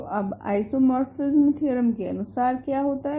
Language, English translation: Hindi, So, now, isomorphism theorem says, what does it say